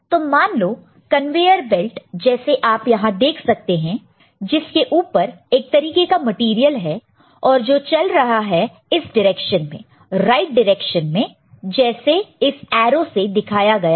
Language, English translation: Hindi, Consider there is a conveyer belt, the one that you see here, over which some material is there and the conveyer belt is moving in this direction, right direction as has been shown with the arrow, ok